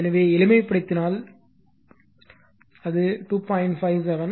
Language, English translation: Tamil, So, you just simplify, it will get 2